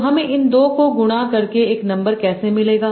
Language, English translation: Hindi, So how do I get a number by multiplying these two